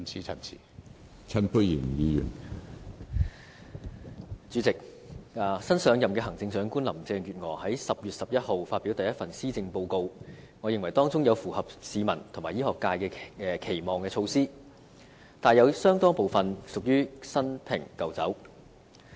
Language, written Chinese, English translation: Cantonese, 主席，新上任的行政長官林鄭月娥在10月11日發表第一份施政報告，我認為當中有符合市民和醫學界期望的措施，但亦有相當部分屬於新瓶舊酒。, President in the maiden Policy Address presented by the new Chief Executive Carrie LAM on 11 October I think there are measures that meet the expectations of the public and the medical profession but a considerable part of it is just old wine in a new bottle